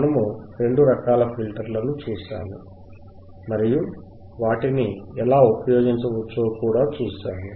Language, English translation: Telugu, We will see both the filters and we will see how it can be used